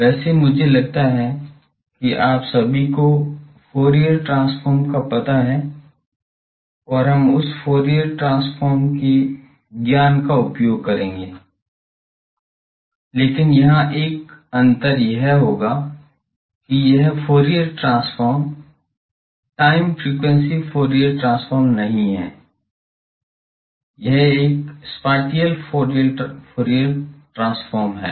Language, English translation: Hindi, Well I think all of you know Fourier transform and we will use that Fourier transform knowledge the, but there will be a difference here that this Fourier transform is not the time frequency Fourier transform, it is a spatial Fourier transform